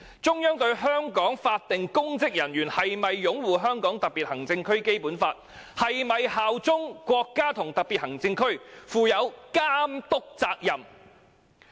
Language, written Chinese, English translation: Cantonese, 中央是否正在監督香港法定公職人員是否擁護《香港特別行政區基本法》，以及是否效忠國家和特別行政區呢？, Are the Central Authorities monitoring if public officers in Hong Kong uphold the Basic Law of the Hong Kong Special Administrative Region SAR and swear allegiance to SAR?